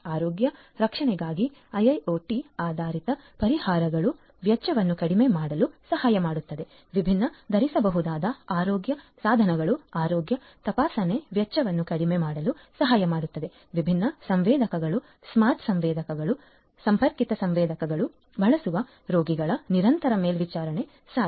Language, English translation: Kannada, IIoT based solutions for health care can help in reducing the expenditure; different wearable health care devices can help in reducing the cost of health checkup; remote continuous monitoring of patients using different sensors, smart sensors, connected sensors would be made possible